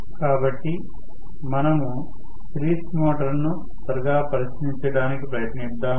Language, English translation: Telugu, So, we will just to try take a look quickly at the series motor